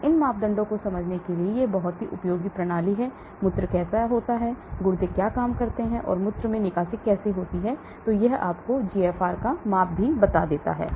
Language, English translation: Hindi, So these parameters are very, very useful to understand the system, how the urine, the kidney works and how the clearance in the urine happens, and it also gives you a measure of GFR